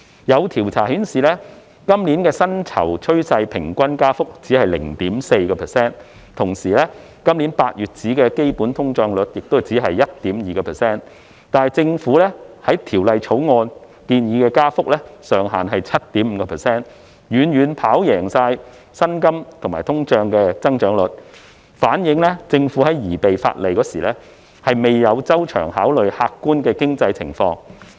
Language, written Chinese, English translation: Cantonese, 有調查顯示，今年薪酬趨勢平均加幅只有 0.4%， 同時，今年8月的基本通脹率也只是 1.2%， 但政府在《條例草案》中建議的租金加幅上限卻是 7.5%， 遠遠跑贏薪金和通賬的增長率，反映政府在擬備法例時，未有周詳考慮客觀經濟狀況。, A survey revealed that the average rate of pay increase this year was only 0.4 % and the underlying inflation rate in August this year was only 1.2 % but the cap on rent increase proposed by the Government in the Bill was 7.5 % which far exceeded the rates of pay increase and inflation showing that the Government failed to take into account the objective economic conditions when drafting legislation